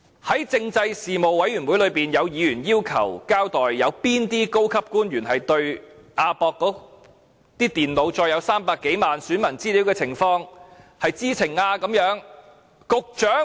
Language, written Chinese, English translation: Cantonese, 在政制事務委員會會議上，有委員要求交代，對於亞博館的電腦載有300多萬名選民資料的情況，有哪些高級官員是知情呢？, At the meeting of the Panel on Constitutional Affairs some members demanded that they be told which senior officials knew that the computers in AWE contained the registration data of more than 3 million voters